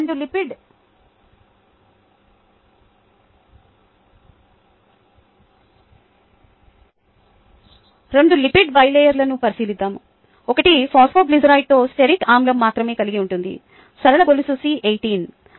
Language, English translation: Telugu, let us consider two lipid bilayers: one made up of phosphoglycerides containing only stearic acid, a straight chain c eighteen